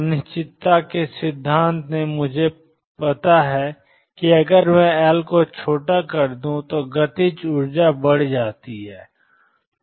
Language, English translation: Hindi, From uncertainty principle I know that if I make L smaller the kinetic energy goes up